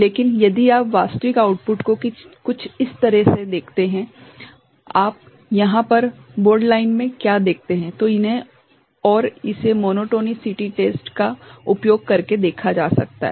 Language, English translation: Hindi, But, if you see the actual output is something like this what you see over here in the bold line, then these and this can be observed using this monotonicity test ok